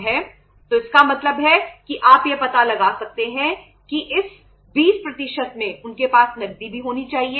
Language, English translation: Hindi, So it means you can make out that in this 20% they must have the cash also